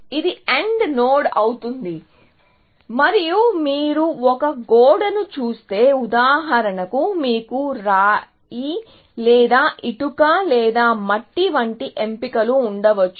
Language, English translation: Telugu, This would be an AND node, and if you look at a wall, for example, you may have